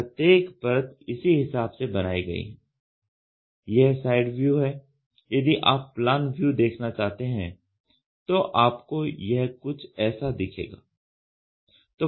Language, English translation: Hindi, So, each layer is contoured according this is only the side view suppose if I wanted to look the plan view, you can have something like this on this ok